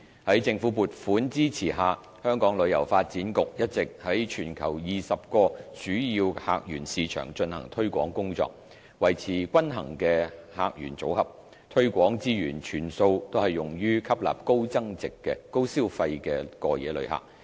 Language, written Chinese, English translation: Cantonese, 在政府撥款支持下，香港旅遊發展局一直在全球20個主要客源市場進行推廣工作，維持均衡的客源組合，推廣資源全數均用於吸納高消費的過夜旅客。, With the funding support of the Government the Hong Kong Tourism Board HKTB has been promoting Hong Kong in 20 major visitor source markets around the world to maintain a balanced portfolio of tourists and to attract high spending overnight visitors with full marketing resources